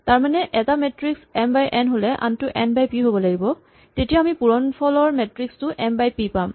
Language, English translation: Assamese, If we have a matrix which is m by n then this must have n times p, so that we have a final answer which is m times p